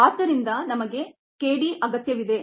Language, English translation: Kannada, therefore we need k d